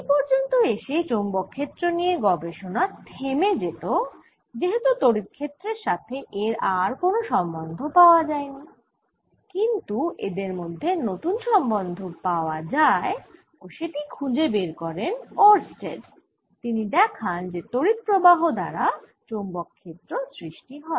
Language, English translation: Bengali, alright, this is where the study of magnetic field would have stopped if a new connection was not found, and that connection was found by oersted, who found that magnetic field is produced by currents